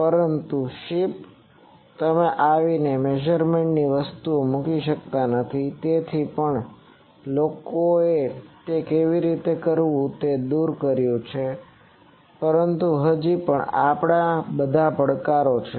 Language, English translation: Gujarati, But ship you cannot come and put into an measurement things, so but people have overcome that how to do that, but still these are all challenges